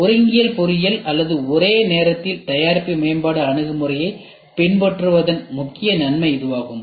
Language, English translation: Tamil, This is the major advantage of concurrent engineering or following simultaneous product development approach